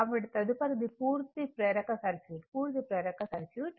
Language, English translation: Telugu, So, next is the purely inductive circuit, purely inductive circuit